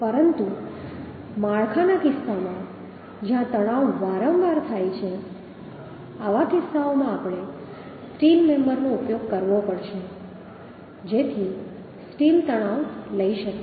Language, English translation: Gujarati, but in case of structures where tension occurs frequently, in such cases we have to use the steel member so that the steel can take tension